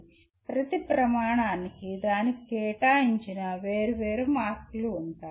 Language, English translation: Telugu, And each criterion may have a different set of marks assigned to that